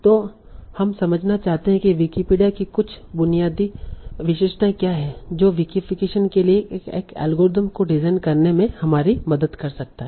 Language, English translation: Hindi, Now, so we might like to understand what are the some of the basic basic features of Wikipedia that can help us in designing an algorithm for Wikification